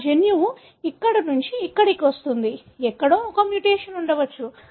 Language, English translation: Telugu, So, my gene falls from here to here, somewhere there could be a mutation